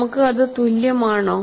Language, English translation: Malayalam, Are we having it as equal